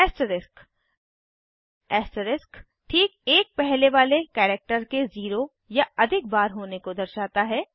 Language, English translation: Hindi, The Asterisk: The asterisk refers to 0 or more occurrences of the immediately preceding character